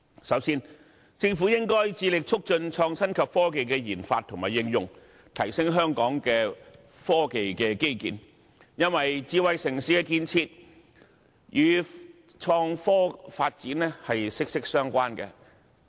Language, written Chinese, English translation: Cantonese, 首先，政府應該致力促進創新科技的研發和應用，提升香港的科技基建，因為智慧城市的建設與創新科技發展息息相關。, First the Government should endeavour to facilitate the research and development RD and application of innovation and technology and upgrade the technological infrastructure of Hong Kong because the building of a smart city is closely related to the development of innovation and technology